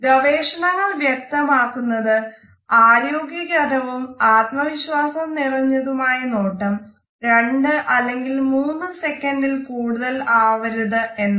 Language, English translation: Malayalam, Researches tell us that a normal healthy and positive confident gaze should not be more than 2 or 3 seconds